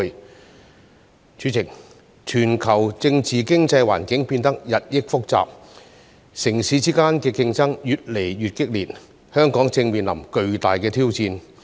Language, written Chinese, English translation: Cantonese, 代理主席，全球政治經濟環境變得日益複雜，城市之間的競爭越來越激烈，香港正面臨巨大挑戰。, Deputy President as the global political and economic environment has become increasingly complex and competition among cities has become more intense Hong Kong is facing enormous challenges